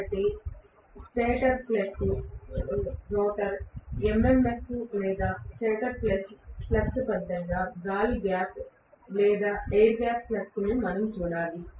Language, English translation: Telugu, So we have to actually look at the air gap MMF or air gap flux as a resultant of stator plus rotor MMF or stator plus rotor fluxes